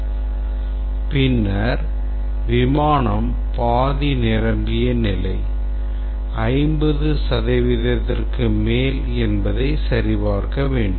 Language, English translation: Tamil, And then we have to check whether the flight is half full occupancy greater than 50 percent